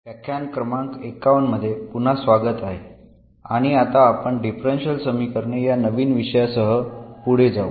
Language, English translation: Marathi, Welcome back so this is a lecture number 51 and we will now continue with a new topic now on differential equations